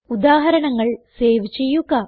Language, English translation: Malayalam, Let us save our examples